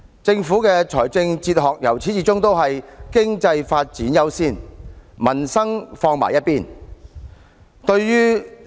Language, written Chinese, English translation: Cantonese, 政府的理財哲學由始至終都是"經濟發展優先，民生放在一旁"。, The Governments fiscal management philosophy is always according economic development the top priority while leaving peoples livelihood aside